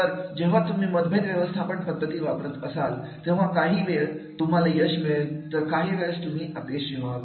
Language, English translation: Marathi, So, whenever you use the conflict management strategies, sometimes you become successful, sometimes it becomes failure